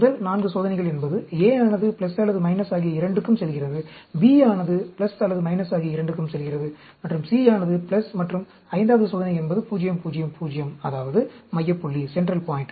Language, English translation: Tamil, The first 4 experiments are A going both plus or minus, B going both plus or minus, and C going 0, and the 5th experiment is 0, 0, 0; that is, the central point